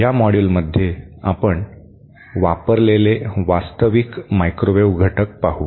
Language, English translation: Marathi, In this module, we shall be seen actual microwave components that are used